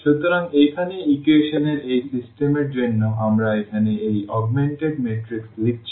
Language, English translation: Bengali, So, here for this system of equations we have written here this augmented matrix